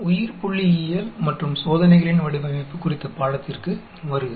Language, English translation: Tamil, Welcome to the course on Biostatistics and Design of Experiments